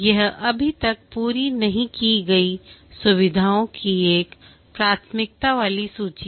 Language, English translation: Hindi, This is a prioritized list of features to be implemented and not yet complete